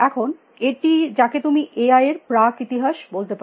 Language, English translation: Bengali, Now, this is you can say the pre history of AI